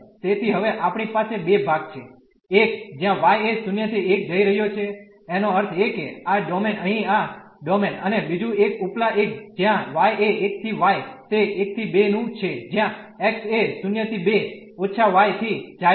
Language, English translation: Gujarati, So, we have the 2 parts now; one where y is going from 0 to 1; that means, this domain here this domain and the other one the upper one where y is from 1 to y is from 1 to 2 where the x is going from 0 to 2 minus y